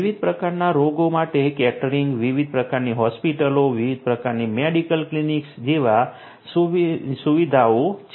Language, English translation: Gujarati, Catering to different types of diseases; catering to different types of hospitals, different types of medical clinics having different facilities